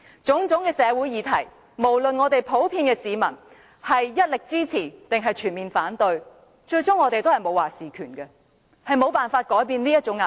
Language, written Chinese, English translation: Cantonese, 對於各種社會議題，不論市民是全面支持或反對，我們最終都沒有"話事權"，亦沒有辦法改變這種壓迫。, Regardless of whether the public is completely supportive of or opposed to various social issues we can neither have a say in the end nor find any ways to change the state oppression